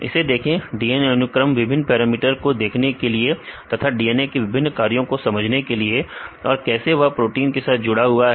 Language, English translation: Hindi, Look at this DNA sequences also important to see this parameters to understand the various functions of this DNAs and this how the interact to this proteins